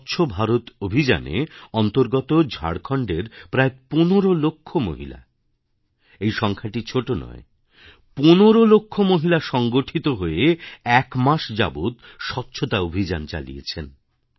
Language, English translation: Bengali, 5 million women in Jharkhand and this figure is not a small one organized a hygiene campaign for an entire month